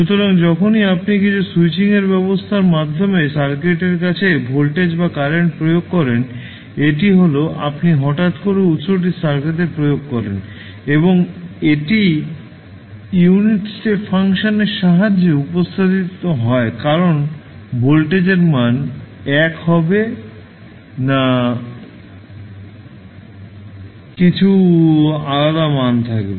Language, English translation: Bengali, So, whenever you apply voltage or current to the circuit through some switching arrangement it is nothing but you suddenly apply the source to the circuit and it is represented with the help of the unit step function because the value of voltage will not be 1 it will be some value